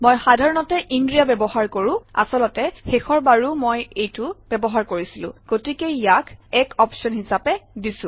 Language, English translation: Assamese, I generally use inria, in fact, the last time I used this, so it gives this as an option